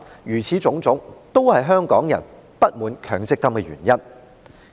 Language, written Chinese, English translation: Cantonese, 凡此種種，均是香港人不滿強積金計劃的原因。, All these are the reasons why Hong Kong people are dissatisfied with the MPF System